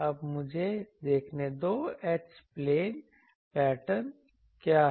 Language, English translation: Hindi, Now, let me see, what is the H plane pattern